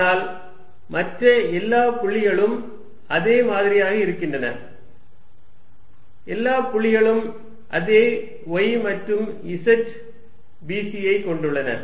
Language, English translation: Tamil, But, all other the points they have the same, all the points have same y and z b c